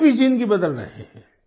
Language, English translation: Hindi, He is changing their lives too